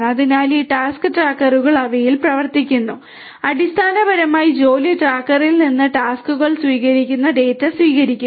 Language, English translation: Malayalam, So, this task trackers are running on them, receiving the data receiving the tasks basically from the job tracker